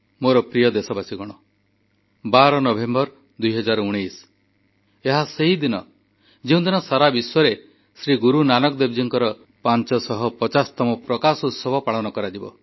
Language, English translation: Odia, My dear countrymen, the 12th of November, 2019 is the day when the 550th Prakashotsav of Guru Nanak dev ji will be celebrated across the world